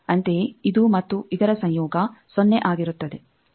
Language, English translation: Kannada, Similarly, this and conjugate of this that will be 0